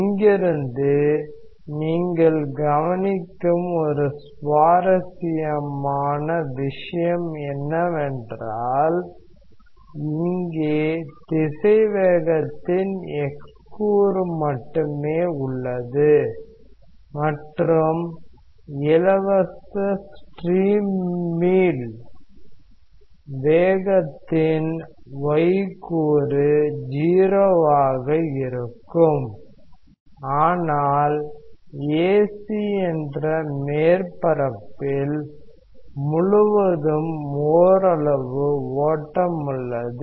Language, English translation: Tamil, One interesting thing you observe from here that there is only x component of velocity here, and y component of velocity in the free stream is 0, but there is some flow across the surface AC